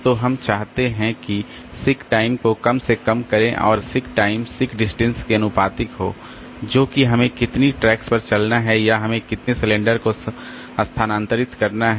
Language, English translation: Hindi, So, we want to, you have to minimize the sick time and seek time is proportional to seek distance, that is by how many tracks you have to move, okay, or how many cylinders you have to move